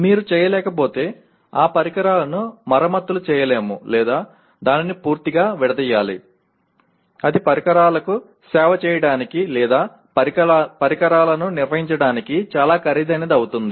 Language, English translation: Telugu, If you cannot, that equipment cannot be repaired or it has to be so totally dismantled it becomes very expensive to service the equipment or maintain the equipment